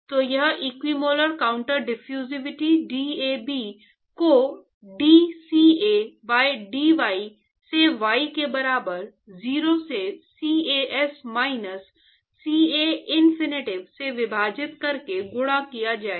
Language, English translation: Hindi, So, it will be the equimolar counter diffusivity DAB multiplied by d CA by dy at y equal to 0 divided by CAS minus CAinfinity